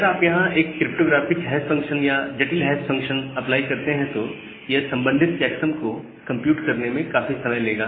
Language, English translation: Hindi, And if you are again apply a cryptographic hash or a complicated hash function here, it will take a significant amount of time to compute that corresponding checksum, so that we do not what